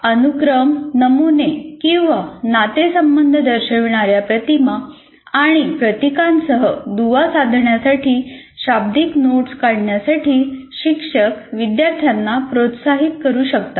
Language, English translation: Marathi, Teachers can encourage students to link verbal notes with images and symbols that show sequence, patterns, or relationship